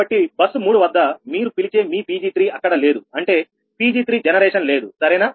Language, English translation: Telugu, so at bus three, your what you call this one, that your ah pg three, there is no pg three generation, right